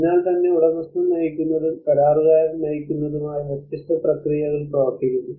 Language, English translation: Malayalam, So this is where the different owner driven and contractor driven processes work